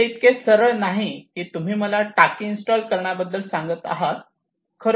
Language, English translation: Marathi, It is not a straight follow up you ask me to do to install the tank, and I do it